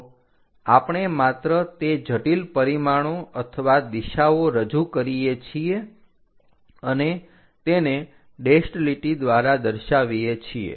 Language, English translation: Gujarati, So, we just to represent that intricate dimensions or directions also we are showing it by a dashed line